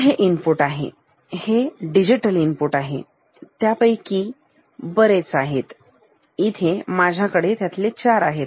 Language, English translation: Marathi, So, and this inputs these are digital inputs, there are many of them, here I have 4 of them